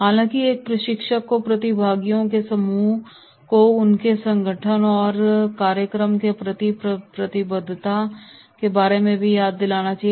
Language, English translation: Hindi, However, a trainer also should remind the group of participants’ responsibility towards their organisation and commitment to the program